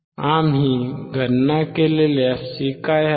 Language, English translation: Marathi, What is the fc that we have calculated